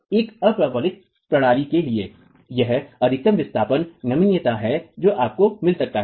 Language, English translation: Hindi, For an unreinfor system, this is the maximum displacement ductility that you might get